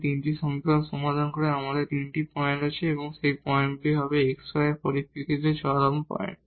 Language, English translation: Bengali, There are 3 points we have to we have to get by solving these 3 equations and that those points will be the points of extrema in terms of the x y